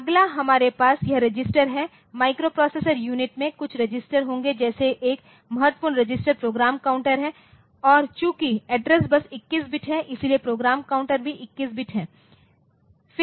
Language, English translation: Hindi, Next we have this registers microprocessor unit will have some registers like one days important register is the program counter and since the address bus is 21 bit so, program counter is also 21 bit